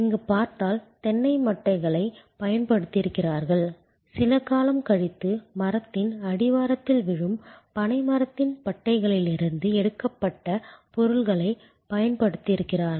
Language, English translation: Tamil, If you can see here, they have used coconut husks, they have used material drawn from a palm tree barks which usually falls down at the base of the tree after some time